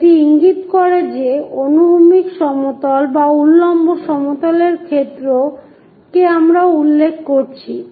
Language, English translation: Bengali, That indicates that with respect to either horizontal plane or vertical plane we are referring